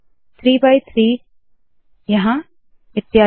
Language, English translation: Hindi, 3 by 3 here and so on